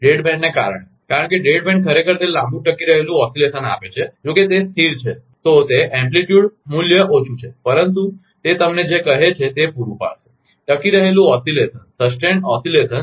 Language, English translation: Gujarati, Because of the dead band, because dead band actually gives that long sustained oscillation although it is stable, it amplitude is small, but it will provide your what you call sustained oscillation